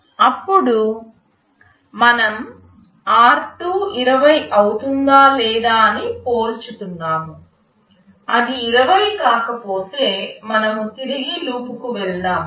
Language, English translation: Telugu, Then we are comparing whether r2 is becoming 20 or not, if it is not 20 then we go back to loop